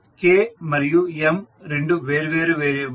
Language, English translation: Telugu, K and M are two different variables